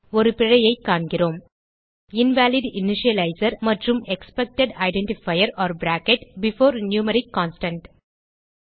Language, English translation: Tamil, We see an error Invalid initializer and Expected identifier or bracket before numeric constant